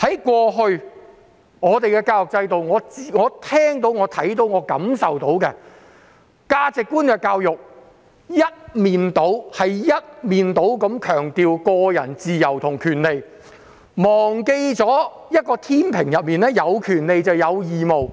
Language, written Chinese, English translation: Cantonese, 過去的教育制度，我所聽到、看到和感受到的價值觀，是一面倒強調個人自由和權利，似乎忘記了天秤上有權利就有義務。, With regard to the previous education system the values that I heard saw and felt have placed lopsided emphasis on individual freedom and rights . People have seemingly forgotten that there were rights and obligations on the scale